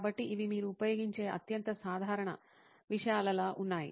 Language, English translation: Telugu, So these are like the most common materials that you use